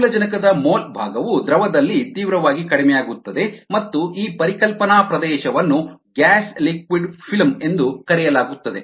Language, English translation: Kannada, the mole fraction of oxygen requires quiet decreases quite drastically in the liquid, and this conceptual region is called the gas liquid film